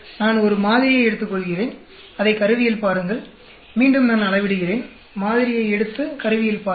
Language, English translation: Tamil, I take a sample, check it out on the instrument; then again I measure, take the sample, check it out on the instrument